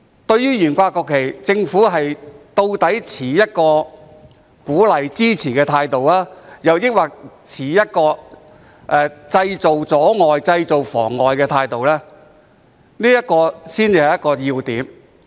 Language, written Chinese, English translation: Cantonese, 對於懸掛國旗，究竟政府是持鼓勵及支持的態度，抑或是認為這做法造成阻礙或妨礙的態度，這才是要點。, It is important to know the attitude of the Government whether the Government is encouraging and supporting the flying of the national flag or whether the Government thinks it is an obstruction or hindrance